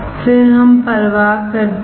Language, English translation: Hindi, Again do we care